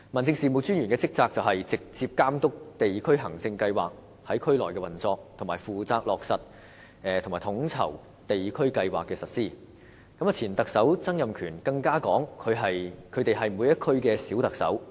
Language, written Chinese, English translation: Cantonese, DO 的職責是"直接監督地區行政計劃在區內的運作"和"負責落實及統籌地區計劃的實施"等，而前特首曾蔭權更曾表示他們是每區的"小特首"。, The duties of District Officers include overseeing the operation of the District Administration Scheme implementing and coordinating the execution of district programmes etc . Former Chief Executive Donald TSANG even said that a District Officer is the little Chief Executive of each district